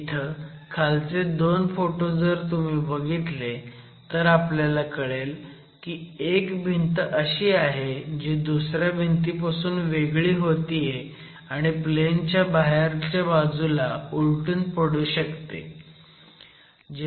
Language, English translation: Marathi, And if you see the two pictures here at the bottom, you see that there is one wall separating off from the other and having a tendency to overturn in the out of plane direction